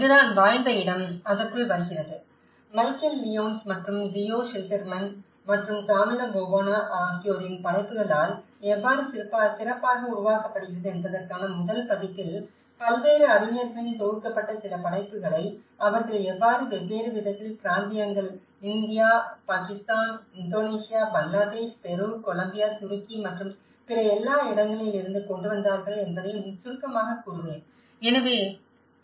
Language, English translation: Tamil, That is where the lived space comes into it and I think I will summarize on how in the first version of build back better by Michal Lyons and Theo Schilderman and Camillo Boanaís work, how they even brought some of the compiled work of various scholars from different regions India, Pakistan, Indonesia, Bangladesh, Peru, Colombia, Turkey and all other places